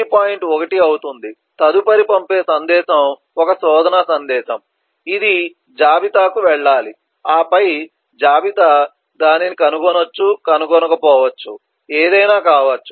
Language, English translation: Telugu, 1 that is a next message to send which is a search message which will go to inventory and then inventory will find it not find it whatever based on that then 1